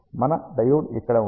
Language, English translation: Telugu, We have a diode here